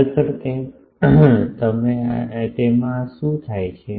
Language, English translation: Gujarati, Actually, you what happens this